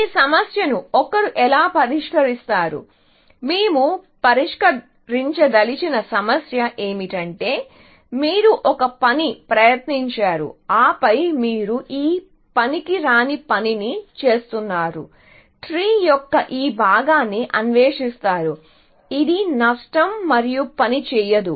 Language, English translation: Telugu, So, how does one solve this problem of doing, what is the issue that we want to address is that; you tried one thing and then, you are doing this useless work, exploring this part of the tree, which will loss and not going to work